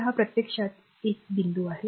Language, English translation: Marathi, So, that this is actually this is point 1 right